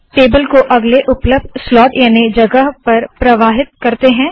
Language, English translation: Hindi, The table is floated to the next available slot